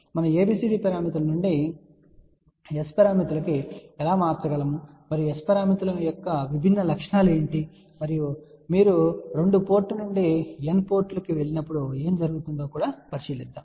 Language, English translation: Telugu, And in the next lecture we will see that how ABCD parameters are related with S parameters, how we can convert from ABCD parameters to S parameters and also we will look at what are the different properties of S parameters, and what happens when you go from 2 port to n ports